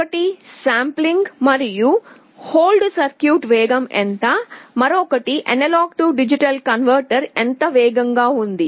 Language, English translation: Telugu, One is how fast is the sample and hold circuit, and the other is how fast is the A/D converter